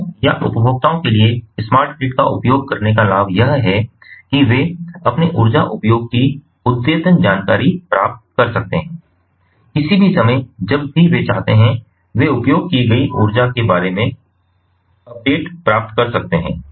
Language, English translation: Hindi, for customers or the consumers, the benefit of using smart grid are that they can get updated information of their energy usage in real time at any time, basically whenever they want